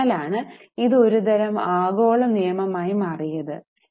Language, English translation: Malayalam, That's why it has become a kind of global act